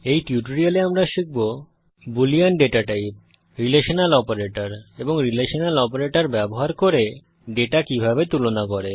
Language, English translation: Bengali, In this tutorial, we will learn about the the boolean data type Relational operators and how to compare data using Relational operators